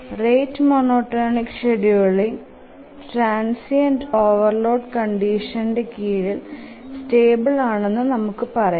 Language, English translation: Malayalam, The rate monotonic algorithm is stable under transient overload conditions